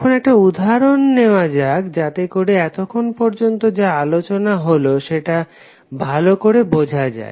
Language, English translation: Bengali, Now, let us take one example so that you can understand what we discuss till now